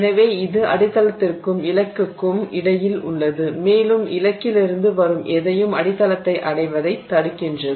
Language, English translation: Tamil, So, it is between the substrate and the target and it blocks whatever is coming from the target from reaching the substrate